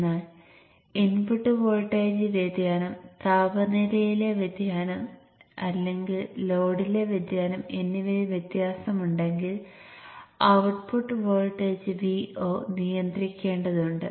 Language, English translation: Malayalam, In the sense that if there is a variation in the input voltage, variation in the temperature, or even variation in the load, the output voltage V0 has to be regulated to a more or less constant value